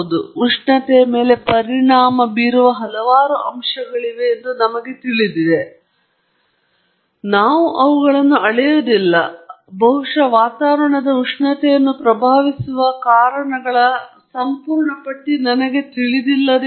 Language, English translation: Kannada, Yes, I probably know that there are several factors affecting the temperature, but I have not measured them or probably I don’t know the complete list of causes that influence the atmospheric temperature